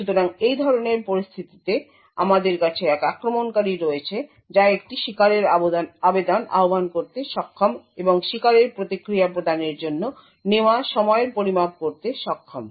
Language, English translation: Bengali, So, in such a scenario we have an attacker who is able to invoke a victim application and is able to measure the time taken for the victim to provide a response